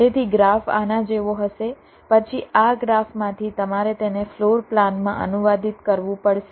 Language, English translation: Gujarati, then, from this graph, you will have to translate it into a floor plan